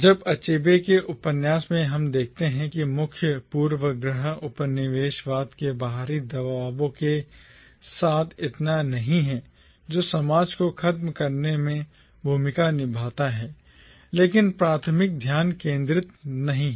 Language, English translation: Hindi, Now, therefore in Achebe’s novel, we see that the main preoccupation is not so much with the external pressures of colonialism, that does play a role in dismantling the society, but the primary focus is not that